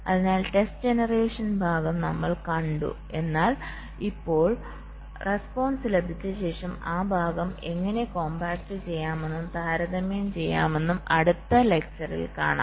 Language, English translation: Malayalam, so we have seen the test generation part, but now, after we have obtain the responses, how do i compact and compare